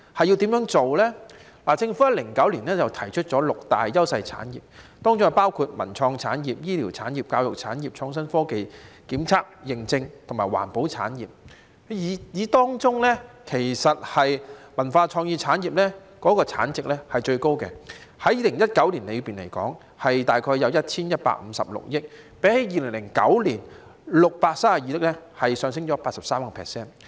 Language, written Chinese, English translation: Cantonese, 政府在2009年提出六大優勢產業，當中包括文化創意產業、醫療產業、教育產業、創新科技、檢測認證和環保產業，當中以文化創意產業的產值是最高的，在2019年，大約有 1,156 億元，較2009年的632億元上升 83%。, The Government proposed six priority industries in 2009 including cultural and creative industries medical services educational services innovation and technology testing and certification and environmental industry . Among these industries the cultural and creative industries account for the highest value added . In 2019 the value added by the industries roughly amounted to about 115.6 billion representing an increase by 83 % as compared to 63.2 billion in 2009